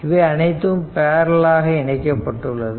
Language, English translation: Tamil, So, all they are all are in parallel